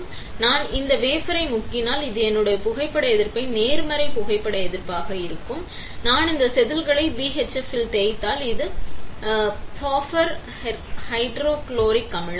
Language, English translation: Tamil, So, if I dip this wafer, this is my photo resist as a positive photo resist; if I dip this wafer in BHF, which is buffer hydrochloric acid